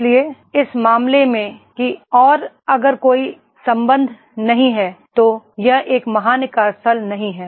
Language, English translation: Hindi, So therefore in that case that…and if there is no connect then that is not a great workplace